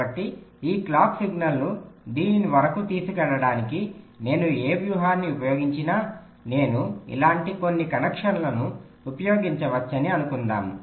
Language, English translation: Telugu, so whatever strategy i use to carry this clock signal up to this say i can use some connections like this